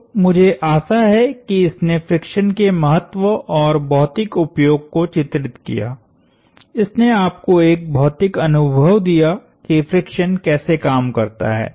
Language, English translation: Hindi, So, I hope this illustrated the value and the physical use of friction, the physical it gave you a physical feel for how friction works